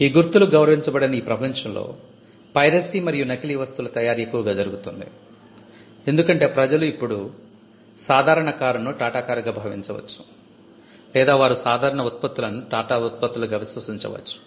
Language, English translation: Telugu, In a world where marks are not respected, they will be rampant piracy and counterfeit happening all over the place, because people would now pass of a car as Tata’s cars or they will pass of products as Tata’s products